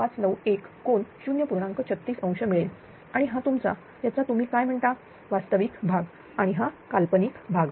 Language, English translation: Marathi, 36 degree and this is your in what you call your real part and this is the imaginary part of this one right